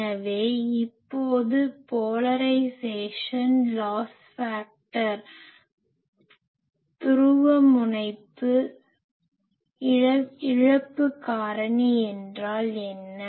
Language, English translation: Tamil, So, now what is polarisation loss factor